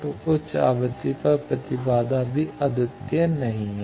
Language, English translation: Hindi, So, impedance is also non unique at high frequency